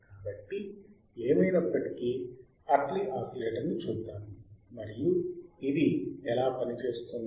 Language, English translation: Telugu, So, anyway let us see Hartley oscillator and how does it work